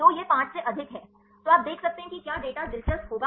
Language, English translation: Hindi, So, this is more than 5 so, you can see now if the data will be interesting